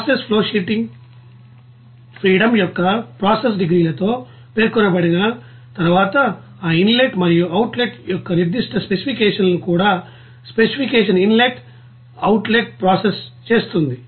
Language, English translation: Telugu, Once the process flowsheet is specified with process degrees of freedom and also processes specifications inlet outlet even specific specification of this inlet and outlet